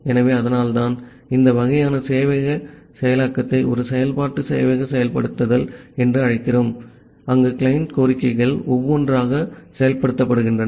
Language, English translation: Tamil, So, that is why we call this kind of server implementation as an iterative server implementation, where the client requests are executed one by one